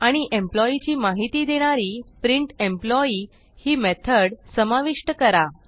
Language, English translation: Marathi, And Method printEmployee which displays the Employee information